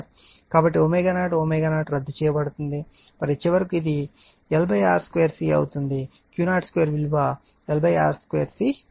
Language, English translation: Telugu, So, omega 0 omega 0 will be cancelled right and finally, it will become L upon R square C the Q 0 square will become l upon R square C